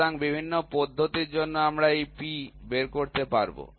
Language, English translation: Bengali, So, we have to find out this P for various methods